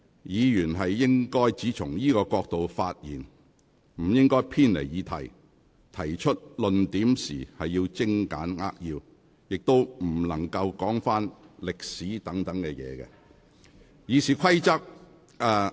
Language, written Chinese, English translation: Cantonese, 議員應只從這個角度發言，不應偏離議題，而提出論點時應精簡扼要，亦不能論述歷史等事宜。, Members should speak only from this angle and should not digress from the subject . They should keep their arguments concise and succinct and may not discuss history or suchlike matters